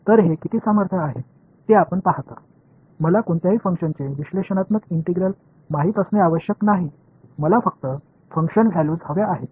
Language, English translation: Marathi, So, you see how much of a power this is, I do not need to know the analytical integral of any function; I just need function values